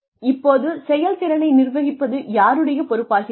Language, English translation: Tamil, Now, whose responsibility is the management of performance